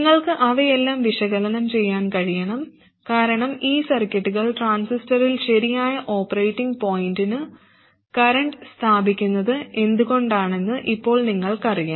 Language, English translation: Malayalam, You should be able to analyze all of them because now you know exactly why these circuits establish the correct operating point current in the transistor